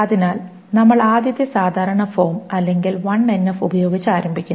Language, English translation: Malayalam, So we start off with the first normal form or the 1NF